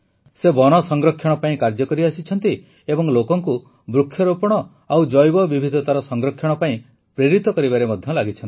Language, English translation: Odia, He has been constantly working for forest conservation and is also involved in motivating people for Plantation and conservation of biodiversity